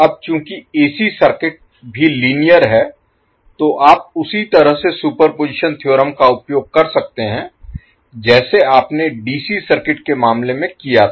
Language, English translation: Hindi, So, now as AC circuit is also linear you can utilize the superposition theorem in the same way as you did in case of DC circuits